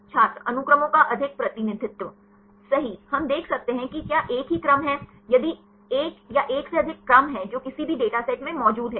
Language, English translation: Hindi, Over representation of sequences Right we can see if there are same sequences; if one or more same sequences which are present in any data set